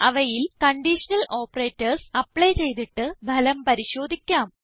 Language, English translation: Malayalam, Lets apply conditional operators on them and analyse the results